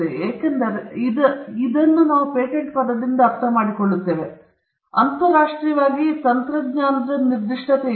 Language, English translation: Kannada, So, patents or the patent term as we understand it today, internationally, is not technology specific